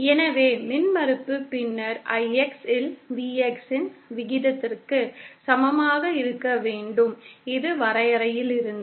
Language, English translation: Tamil, So the impedance then should be equal to the ratio of Vx upon Ix, this is from the definition